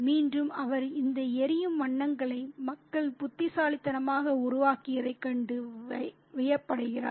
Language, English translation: Tamil, And again, he is very amazed at the people's deft creation of these flaming colors